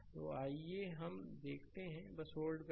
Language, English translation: Hindi, So, how let us see just hold on